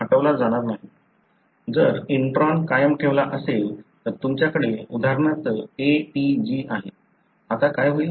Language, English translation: Marathi, Now, if the intron is retained, then you have for example ATG here, now what would happen